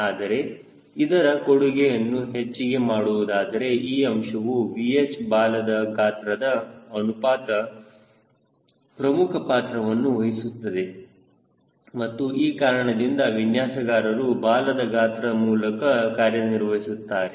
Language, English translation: Kannada, but if you want to enhance its contribution, then this gentleman v h tail volume ratio will play an important role and that is why for a designer, he operates through tail volume